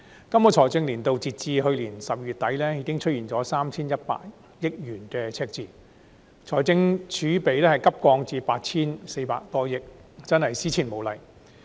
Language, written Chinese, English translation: Cantonese, 今個財政年度截至去年12月底，已出現 3,100 億元赤字，財政儲備急降至 8,400 多億元，真是史無前例。, As of the end of December last year the current fiscal year has seen a deficit of 310 billion and the fiscal reserves have plummeted to just more than 840 billion which is indeed unprecedented in history